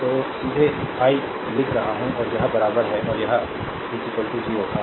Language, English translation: Hindi, So, directly I am writing and this is equal and this is equal to 0 , right ah